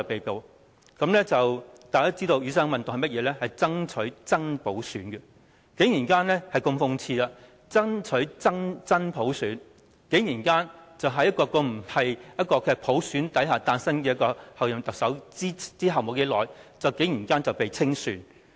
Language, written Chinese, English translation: Cantonese, 大家都知道，雨傘運動是爭取真普選的，但如此諷刺的是，爭取真普選的人竟然在一位不是由普選產生的候任特首產生後不久便被清算。, Everyone knows that the goal of the Umbrella Movement is to fight for genuine universal suffrage but what is so sarcastic is that people fighting for genuine universal suffrage were being purged not long after a Chief Executive - elected was not selected who was not returned by universal suffrage